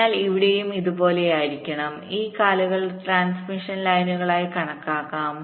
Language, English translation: Malayalam, so it will be something like this: these legs can be treated as transmission lines